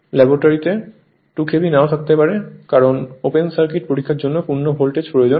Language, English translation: Bengali, In the laboratory that 2 KV may not be available right that is because for open circuit test you need full voltage